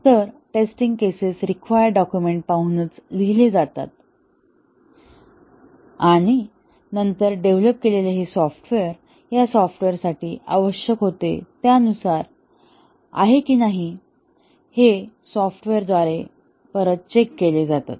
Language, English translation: Marathi, So, the test cases are written by looking at the requirements document and then they are tested on the fully working software to validate whether the software that has been developed is according to what was required for this software